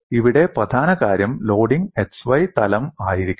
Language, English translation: Malayalam, The key point here is loading should be in the plane x y